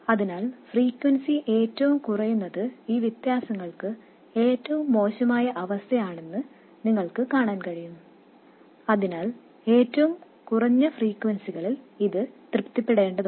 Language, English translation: Malayalam, So you can see that the lowest of the frequencies is the worst case for these inequalities so it has to be satisfied for the lowest of the frequencies